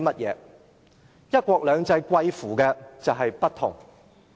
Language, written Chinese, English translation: Cantonese, "一國兩制"就是貴乎不同。, One country two systems celebrates differences